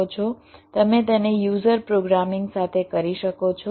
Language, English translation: Gujarati, you can do it with user programming